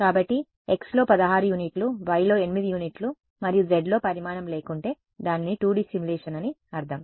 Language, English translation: Telugu, So, 16 units in x, 8 units in y and no size in z means its 2D simulation that is all that it means